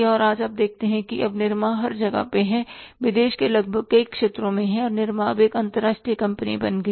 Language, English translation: Hindi, Nirm is everywhere now they are into the almost many sectors of the country and Nirm has become the international company now